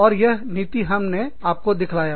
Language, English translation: Hindi, And, then this policy, we have shown you